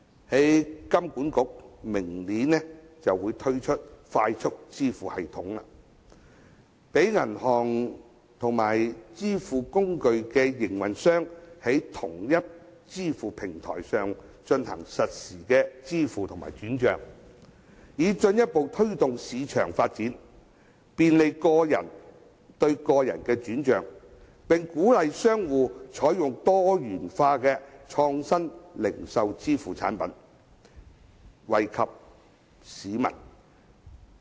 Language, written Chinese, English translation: Cantonese, 香港金融管理局計劃明年推出快速支付系統，讓銀行和支付工具營運商在同一支付平台上進行實時支付和轉帳，以進一步推動市場發展，便利個人對個人的轉帳，並鼓勵商戶採用多元化的創新零售支付產品，惠及市民。, In this way Hong Kong people can integrate in the local community more easily . The Hong Kong Monetary Authority HKMA is planning to launch the Faster Payment System FPS next year to allow banks and stored - value facilities service providers to conduct real - time settlement and fund transfer on a single payment platform thereby further promoting market development facilitating transfer of funds between individuals and encouraging merchants to adopt diversified innovative retail payment products for the benefit of consumers